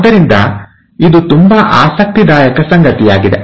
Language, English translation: Kannada, So, this is something very interesting